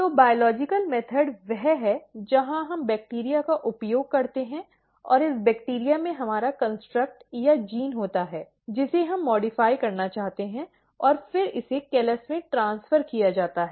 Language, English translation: Hindi, So, biological method is the one where we use bacteria and this bacteria contains our construct or the gene which we want to modify and this is then transferred into the callus